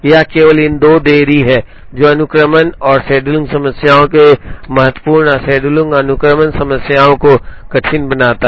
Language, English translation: Hindi, It is only these 2 delays that makes sequencing and scheduling problems important and scheduling and sequencing problems difficult